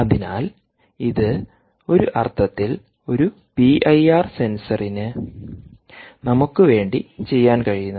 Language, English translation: Malayalam, so this is, in a sense, what a p i r sensor can do to us, right